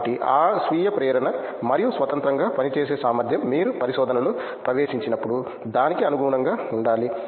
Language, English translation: Telugu, So, that self motivation and ability to work independently you have to adapt to it when you get into research